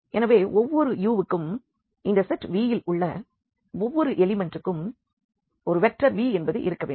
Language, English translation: Tamil, And, another one; so, for each u so, for each element of this set V; there must exist a vector V which is denoted by minus u